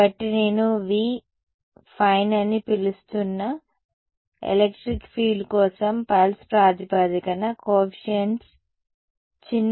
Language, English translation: Telugu, So, the coefficients in the pulse basis for the electric field I am calling v fine let us just change it from small a